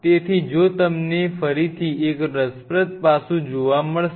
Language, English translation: Gujarati, So, again if you noticed one interesting aspect